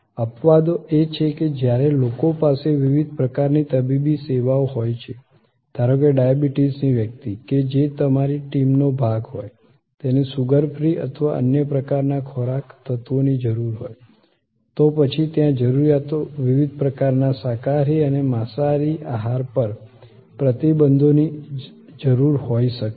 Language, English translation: Gujarati, Exceptions are when people have the different kind of medical, say a diabetic person, whose part of your team, may need a sugar free or other types of foods, elements, then there can be different kinds of vegetarian and non vegetarian dietary restrictions, requirements